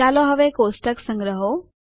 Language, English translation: Gujarati, Let us now save the table